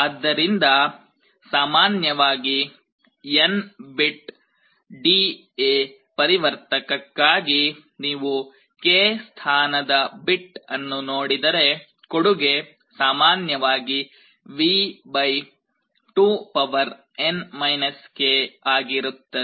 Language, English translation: Kannada, So, for N bit D/A converter in general if you look at the k th bit, the contribution will be V / 2N k in general